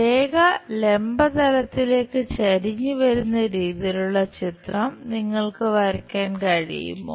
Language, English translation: Malayalam, Can you draw that picture if it is inclined to vertical plane line